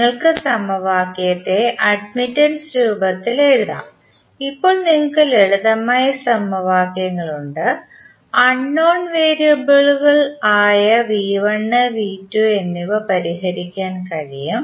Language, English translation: Malayalam, You can simply write the equation in the form of admittances and the now you have simpler equations you can solve it for unknown variables which are V 1 and V 2